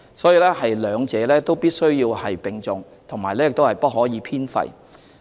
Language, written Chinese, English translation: Cantonese, 所以，兩者必須並重，亦不可偏廢。, So the two are equally important and should be given an equal emphasis